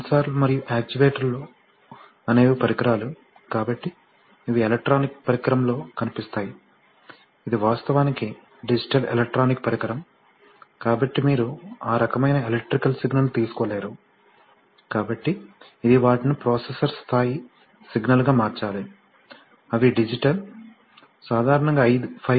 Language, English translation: Telugu, The sensors and actuators are the devices, so these appears in an electronic device, it is actually a digital electronic device, so you, as such cannot take in that kind of electrical signal, so it must convert them to processor level signals, which are, which are digital, typically five volt or maybe 2